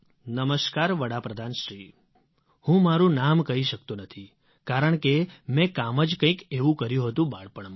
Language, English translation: Gujarati, "Namaskar, Pradhan Mantriji, I cannot divulge my name because of something that I did in my childhood